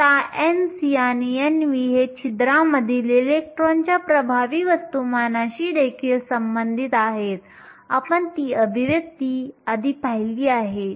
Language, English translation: Marathi, Now, n c and n v are also related to the effective masses of the electrons in holes, you have seen that expression before